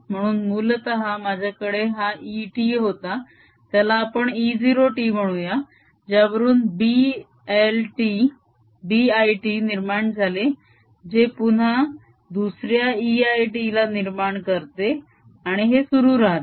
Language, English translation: Marathi, so originally i had e t, let's call it e, zero t, which is giving rise to ah, b one t, which in turn again will give rise to another e one t, and so on